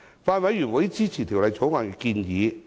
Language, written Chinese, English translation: Cantonese, 法案委員會支持《條例草案》的建議。, The Bills Committee supports the proposals of the Bill